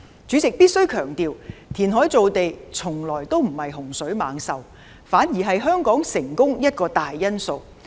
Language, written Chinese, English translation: Cantonese, 主席，必須強調，填海造地從來不是洪水猛獸，反而是香港成功的一個大因素。, President I must emphasize that reclamation has never been a scourge rather it has been a major factor of Hong Kongs success